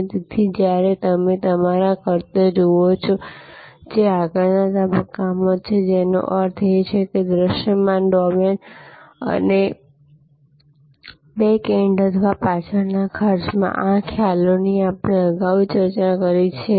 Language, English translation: Gujarati, And therefore, when you look at your costs, you should look at costs, which are on the front stage; that means, in the visible domain and costs at the backend or backstage, these concepts we have discussed earlier